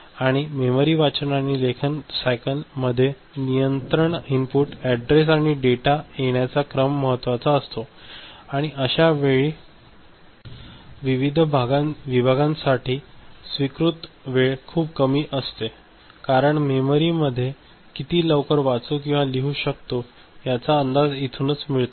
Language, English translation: Marathi, And in memory read and write cycle the sequence of appearance of control inputs, address and data are important and there are minimum allowable times for various segments and as a whole that gives us an estimate of how quickly we can read or write into memory ok